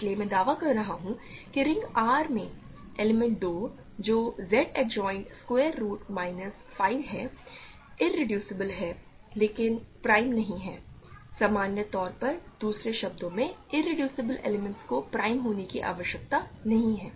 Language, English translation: Hindi, So, I am claiming that the element 2 in the ring R which is Z adjoined square root minus 5 is irreducible, but not prime so, in general in other words irreducible elements need not be prime